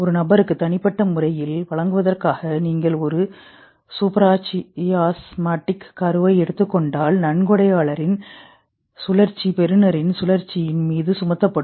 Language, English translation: Tamil, If you take a supra chasmatic nucleus from one person and impart to the other person, the donor cycle will superimpose over the recipient cycle